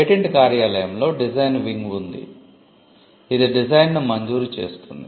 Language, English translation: Telugu, The patent office has a design wing, which grants the design